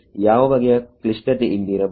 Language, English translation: Kannada, What kind of complications might be here